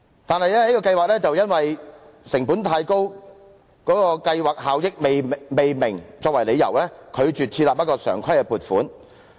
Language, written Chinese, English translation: Cantonese, 但是，這項計劃以"成本太高、計劃效益未明"為由，拒絕設立常規撥款。, The Programme has been refused regular funding on the ground of high costs and unclear effectiveness